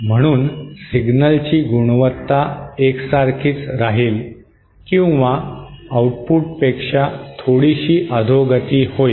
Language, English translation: Marathi, Hence the signal quality will either remain the same or will be a little bit degraded than the output